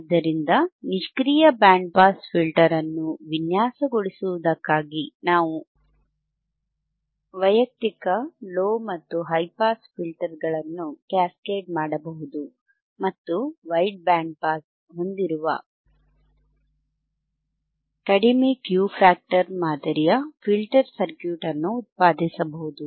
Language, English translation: Kannada, So, the point is for designing a passive band pass filter, passive band pass filter, for which we can cascade the individual low and high pass filters and produces a low Q factor typical type of filter circuit which has a wideband pass, which has a wide pass